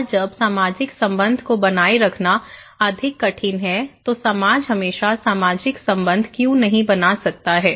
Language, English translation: Hindi, And when it is more difficult to maintain social relationship okay, why society cannot always maintain social relationship